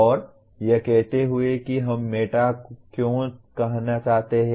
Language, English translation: Hindi, And saying why do we want to say meta